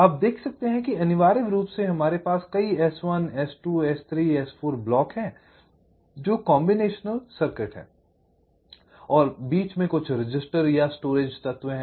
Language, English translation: Hindi, essentially, we have several s, one, s, two, s, three s, four blocks which are combinational circuits and there are some registers or storage elements in between